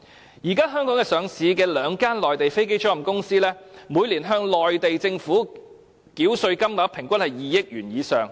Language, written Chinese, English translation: Cantonese, 現時兩間在香港上市的內地飛機租賃公司，每年向內地政府繳稅金額平均是2億元以上。, The two Hong Kong - listed Mainland aircraft lessors are now paying an average of more than 200 million tax to the Mainland Government annually